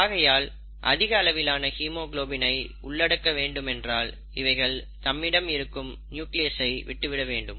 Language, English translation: Tamil, So if it wants to accommodate more and more amount of haemoglobin, it has to get rid of the nucleus